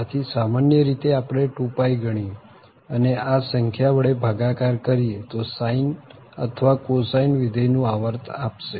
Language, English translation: Gujarati, So, usually we compute 2 pie and divided by this number will give the period of this sine or cosine function